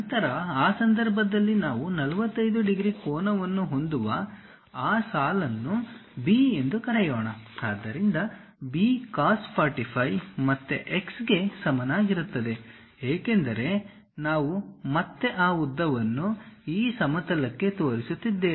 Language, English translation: Kannada, Then in that case, let us call that line B making an angle of 45 degrees; so, B cos 45 is equal to again x; because we are again projecting that length onto this plane